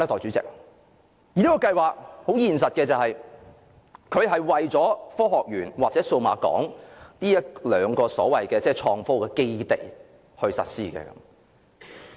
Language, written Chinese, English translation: Cantonese, 這個計劃很現實的，是為了科技園公司和數碼港這一兩個所謂創科基地而實施的。, This scheme has a practical and immediate role to play; it is implemented for HKSTPC and Cyberport the so - called IT bases